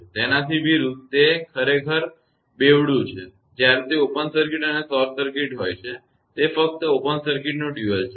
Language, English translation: Gujarati, So, just opposite it is a duel actually; when it is open circuit and short circuit, it is just duel of open circuit